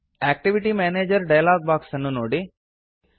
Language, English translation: Kannada, View the Activity Manager dialog box